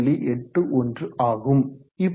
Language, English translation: Tamil, 81 that is